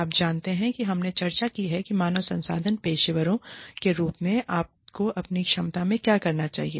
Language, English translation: Hindi, You know, we have discussed, what you must do, in your capacity, as human resources professionals